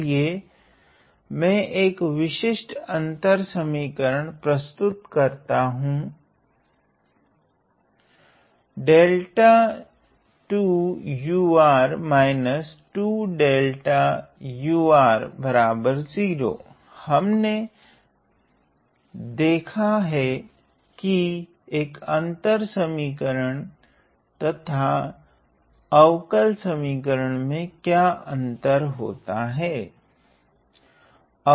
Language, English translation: Hindi, So, this is a typical difference equation, we could also have differential equation, we have notice what is the difference between the difference and a differential equation